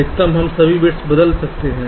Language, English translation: Hindi, all three bits are changing